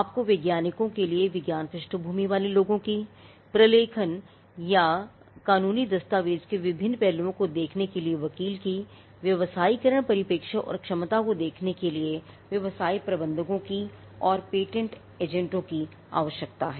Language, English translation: Hindi, You need people with science background in science scientists, lawyers who can look at various aspects of documentation or legal documentation, you need business managers who can look at the commercialization perspective and potential and you need patent agents